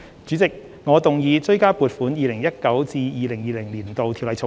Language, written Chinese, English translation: Cantonese, 主席，我動議二讀《2020年性別歧視條例草案》。, President I move the Second Reading of the Sex Discrimination Amendment Bill 2020 the Bill